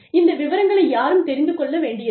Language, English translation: Tamil, Nobody, needs to know, these details